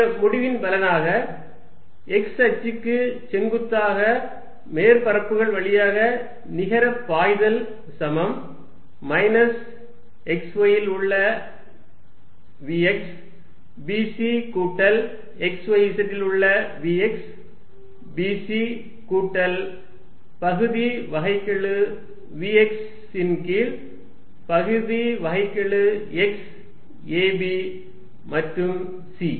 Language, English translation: Tamil, With the result that net flow through surfaces perpendicular to the x axis is going to be minus v x at x, y, z b c plus vx at x, y, z b c plus partial of v x y partial x a b and c, this is the change in v x through a, let me see if I do not that is early no I did not